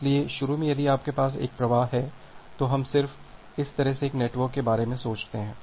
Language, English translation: Hindi, So, initially if you have a single flow, so we just think of a network like this